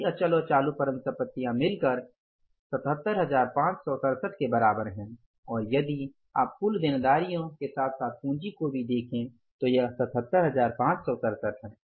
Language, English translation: Hindi, So, if you sum it up the total of assets, all fixed and current this works out as 77,567 and if you look at the total liabilities plus capital, it is the same 77,567